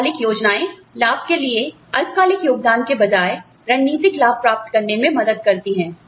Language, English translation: Hindi, Long term plans, help design strategic gains, rather than, short term contribution, to profits